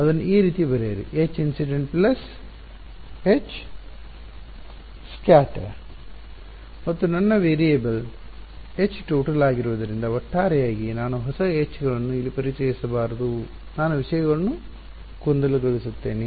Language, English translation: Kannada, Write it like this H incident plus H scattered and since my variable is H total, I should not introduce a new H s over here I will just confusing things